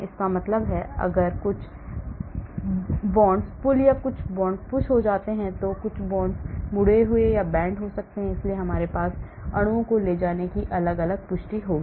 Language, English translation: Hindi, that means if some bonds get pulled or some bonds get pushed, some bonds get bent, , so we will have different confirmations the molecules takes